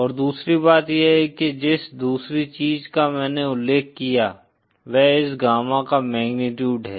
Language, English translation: Hindi, And the other thing is, the other thing that I mentioned is the magnitude of this gamma